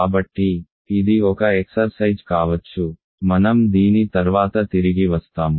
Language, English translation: Telugu, So, this is an exercise may be I will come back to this later